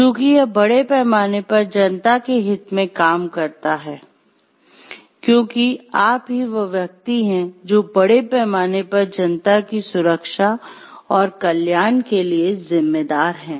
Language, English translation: Hindi, So, that it acts in the best interest of the public at large, because you are the person who are responsible for the safety and security of the public at large